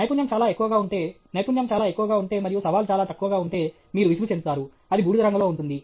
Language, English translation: Telugu, If the skill is very high, if the skill is very high and the challenge is very low, you will feel bored; that is in the grey color